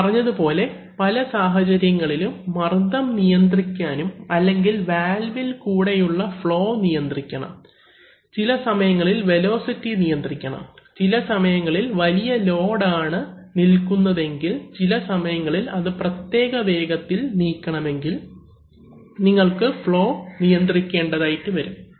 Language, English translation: Malayalam, Now as I said that you in many cases, you need to control the pressure or the flow through the valve, sometimes, you know velocity has to be controlled, if you are moving a very high load, sometimes want that it moves that only at a certain speed, so for that you have to do flow control